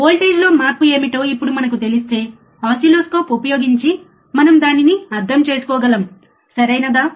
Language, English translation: Telugu, So now if we know what is the change in the voltage, that we can understand using oscilloscope, right